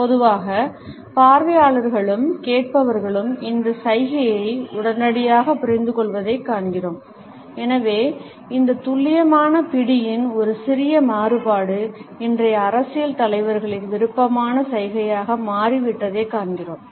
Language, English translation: Tamil, Normally, we find that audience and listeners understand this gesture immediately and therefore, we find that a slight variation of this precision grip has become a favorite gesture of today’s political leaders